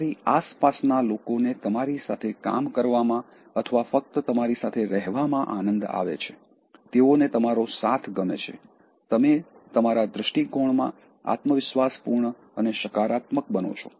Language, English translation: Gujarati, People around you enjoy working or simply being with you, they like your company, you become confident and positive in your outlook